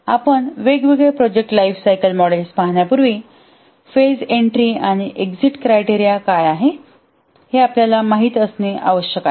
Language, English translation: Marathi, Before we look at the different project lifecycle models, we must know what is the phase entry and exit criteria